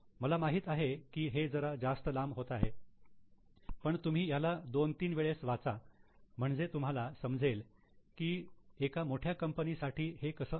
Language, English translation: Marathi, I know it's bit longish but read it two, three times so that you understand how it is for a large company